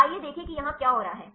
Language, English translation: Hindi, Let us see what is what is happening here